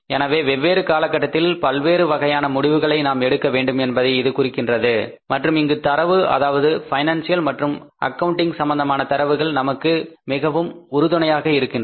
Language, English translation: Tamil, So it means we will have to take many decisions over a period of time and here the data which is called as financial and accounting data that helps us a lot